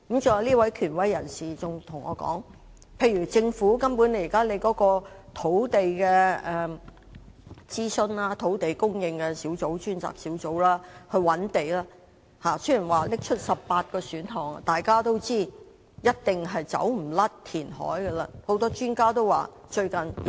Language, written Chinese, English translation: Cantonese, 再者，這位權威人士還告訴我，有關政府現時就土地進行的諮詢工作，土地供應專責小組雖然提出了18個選項，但大家也知道填海一定免不了。, The authoritative person also told me about the land supply consultation launched by the Government . Despite the 18 options proposed by the Task Force on Land Supply we all know that reclamation is inevitable